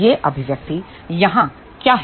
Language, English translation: Hindi, So, what this expression has here